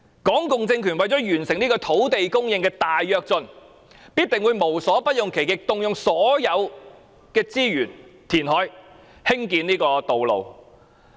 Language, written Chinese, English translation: Cantonese, 港共政權為了達成土地供應的大躍進，必定會無所不用其極，動用所有資源填海及興建道路。, In order to achieve a great leap forward for land supply the Hong Kong communist regime will definitely resort to every means to use all the resources to reclaim land and build roads